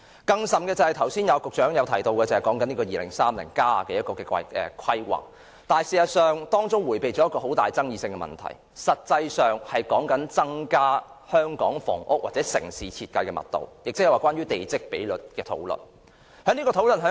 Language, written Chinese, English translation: Cantonese, 更甚的是，局長剛才提到《香港 2030+： 跨越2030年的規劃遠景與策略》的規劃，當中迴避了一個極富爭議的問題，便是有關增加香港房屋或城市設計的密度，亦即是關於地積比率的討論。, Worse still the Hong Kong 2030 Towards a Planning Vision and Strategy Transcending 2030 mentioned by the Secretary earlier has evaded a very controversial issue ie . increasing the density of housing or urban design in Hong Kong which is related to plot ratio